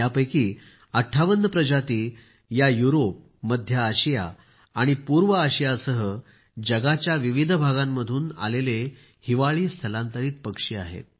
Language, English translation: Marathi, And of these, 58 species happen to be winter migrants from different parts of the world including Europe, Central Asia and East Asia